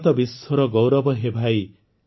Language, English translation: Odia, India is the pride of the world brother,